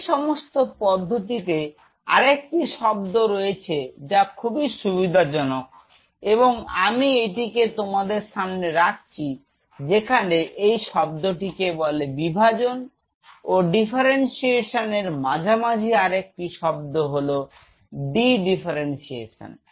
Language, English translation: Bengali, In that whole process there is another word which will be coming very handy and that I am just putting in grade now this is the word called between division and differentiation there is another word called De Differentiation, what is de differentiation